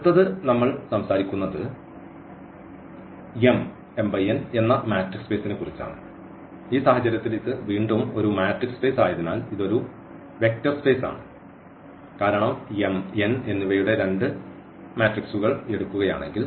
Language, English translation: Malayalam, So, why in this case it is a matrix space again this is a vector space because if we take two matrices of what are m and n